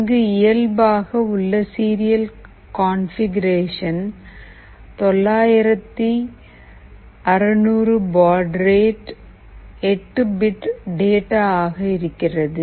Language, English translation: Tamil, The default serial configuration is 9600 baud rate an 8 bits